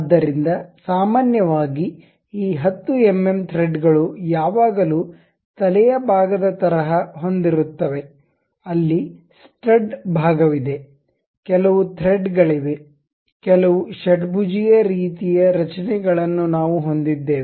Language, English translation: Kannada, So, usually these 10 mm threads always be having something like a head portion, there is a stud portion, there are some threads some hexagonal kind of structures we will be having